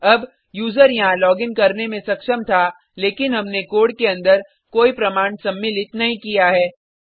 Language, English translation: Hindi, Now, the user was able to login here because we have not included any validation inside the code